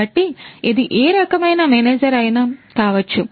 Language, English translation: Telugu, So, it could be any type of manager